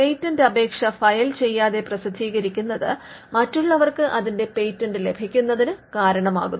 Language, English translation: Malayalam, Now, not filing a patent application and merely publishing it could also lead to cases where it could be patented by others